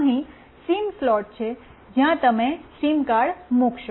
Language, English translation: Gujarati, Here is the SIM slot, where you will put the SIM card